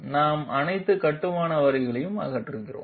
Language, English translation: Tamil, We remove all the construction lines